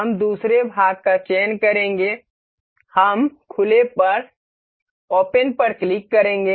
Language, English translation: Hindi, We will select another part, we will click open